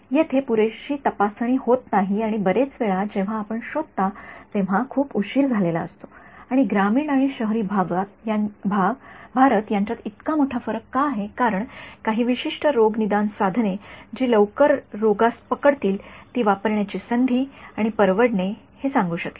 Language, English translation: Marathi, There is not enough screening that is happening and by the time you detect it many times it is too late right and why is there such a big difference between the rural and urban India is simply access and affordability of some kind of diagnostic tool that can tell catch this early on ok